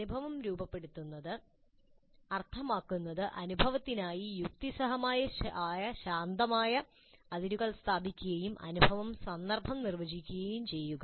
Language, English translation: Malayalam, So framing the experience means establish reasonably crisp boundaries for the experience and define the context for the experience